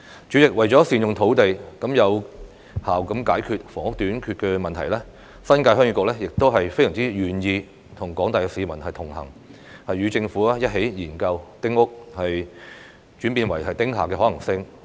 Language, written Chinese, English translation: Cantonese, 主席，為了善用土地，有效解決房屋短缺問題，新界鄉議局非常願意與廣大市民同行，與政府一起研究丁屋轉變為"丁廈"的可行性。, President in order to make the best use of land resources and effectively resolve the housing shortage problem the Heung Yee Kuk New Territories HYK is more than willing to stand with the general public and work in collaboration with the Government to study the feasibility of converting small houses into small buildings